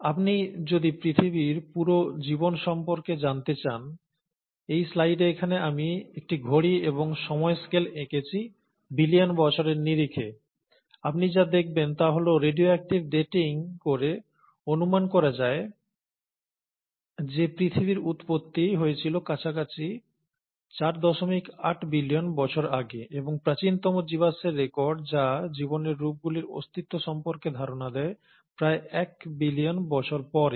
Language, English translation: Bengali, Now if you notice in the slide, if you were to look at the life of earth as a whole, and here I’ve drawn a clock and the time scale or in terms of billions of years, what you’ll notice is that the radio active dating estimates that the origin of earth happened somewhere close to four point eight billion years ago, and, the earliest fossil records which suggest existence of life forms is about a billion years later